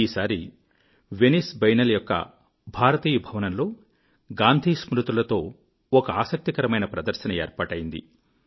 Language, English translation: Telugu, This time, in the India Pavilion at the Venice Biennale', a very interesting exhibition based on memories of Gandhiji was organized